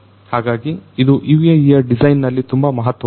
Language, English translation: Kannada, So, this is very important in the design of a UAV